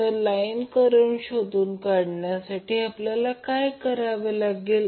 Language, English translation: Marathi, Now to find out the line current what we have to do